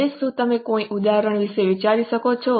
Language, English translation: Gujarati, Now, can you think of any examples